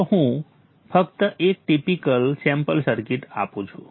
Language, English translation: Gujarati, So let me just give one typical sample circuit